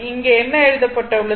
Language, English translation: Tamil, That is what is written here, right